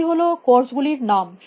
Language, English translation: Bengali, These are names of courses